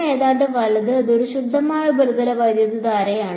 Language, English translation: Malayalam, 0 almost right, it is a pure surface current